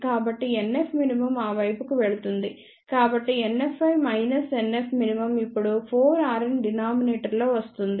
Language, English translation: Telugu, So, NF min will go to that side, so NF i minus NF min now 4 r n will come in the denominator